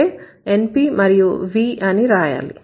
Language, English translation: Telugu, It would have V and NP